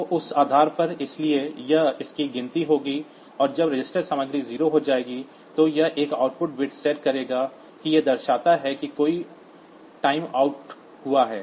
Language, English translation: Hindi, So, on that basis, so it will be counting it and when the register content will become 0, so it will set one output bit to denote that a timeout has occurred